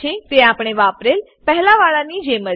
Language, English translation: Gujarati, It is similar to the one we used earlier